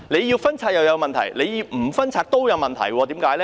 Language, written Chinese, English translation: Cantonese, 要拆帳有問題，不拆帳也有問題，原因為何？, Problems will arise whether the revenue has to be shared or not . Why?